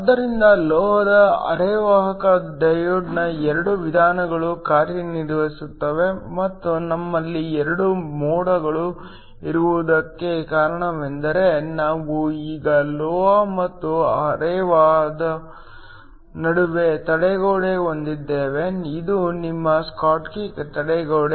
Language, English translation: Kannada, So, There are 2 modes of operation of a metal semiconductor diode and the reason we have 2 modes is because we now have a barrier between the metal and the semiconductor, this is your schottky barrier